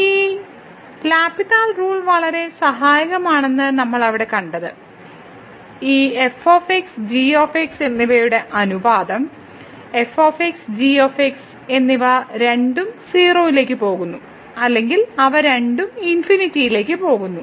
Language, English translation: Malayalam, There what we have seen that this L’Hospital rule was very helpful which says that the ratio of this and where and both either goes to 0 or they both go to infinity